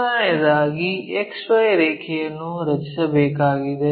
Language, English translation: Kannada, First of all we have to draw XY line